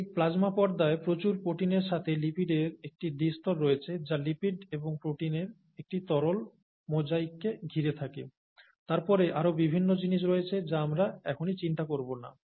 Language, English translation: Bengali, So this plasma membrane has a double layer of lipids with a lot of proteins sticking around a fluid mosaic of lipids and proteins, and then there are various other things which we will not worry about now